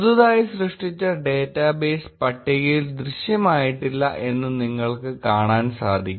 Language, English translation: Malayalam, You will notice that the freshly created database does not appear in the list